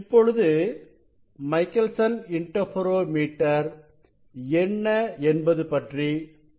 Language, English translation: Tamil, let us let us discuss the Michelson interferometers what it is